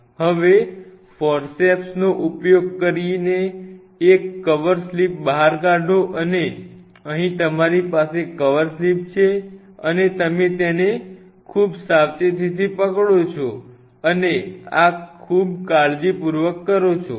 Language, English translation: Gujarati, Now, pull out say one cover slip on a using a Forceps and here you have the Coverslip and you hold it very gently and this do it very carefully